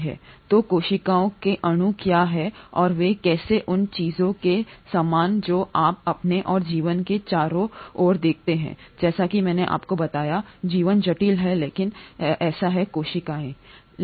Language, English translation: Hindi, So what are the properties of cells and how are they similar to the things that you see around yourself and life, as I told you, life is complex but so are cells